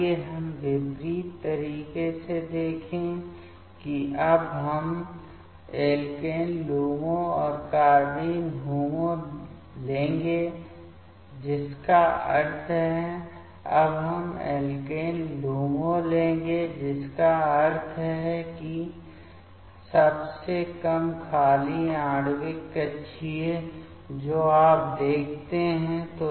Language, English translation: Hindi, Let us see the opposite way that means now we will take the alkene LUMO and carbene HOMO that means, now we will take the alkene LUMO that means lowest unoccupied molecular orbital you see